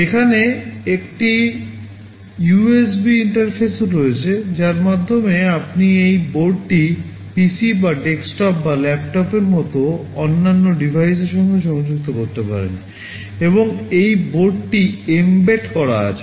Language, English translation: Bengali, There is also an USB interface out here through which you can connect this board to other devices, like your PC or desktop or laptop, and this board is mbed enabled